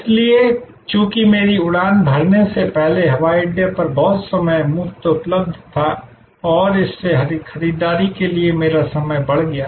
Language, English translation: Hindi, So, as a result a lot of time was available free at the airport before my flight was to take off and that increased my time available for shopping